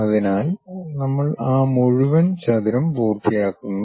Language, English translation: Malayalam, So, we complete that entire rectangle